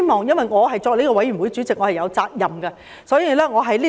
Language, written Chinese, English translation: Cantonese, 由於我是法案委員會主席，因此有責任立此存照。, Since I am the Chairman of the Bills Committee I am duty - bound to put this demand on record